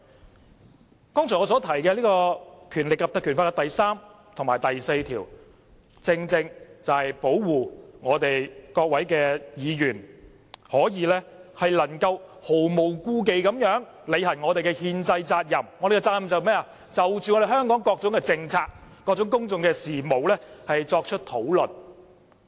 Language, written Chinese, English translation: Cantonese, 我剛才提到《條例》第3及4條，正正是保護各位議員能毫無顧忌履行憲制責任，即就香港各種政策、公共事務作出討論。, Sections 3 and 4 of the Ordinance above aim exactly to offer protection to Members so that they can carry out their constitutional duties free from worry that is to discuss policies and public issues in Hong Kong